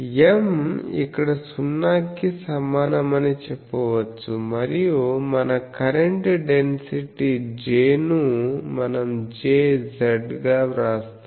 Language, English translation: Telugu, So, we can say that M is equal to 0 here, and our current density J that we will write as J z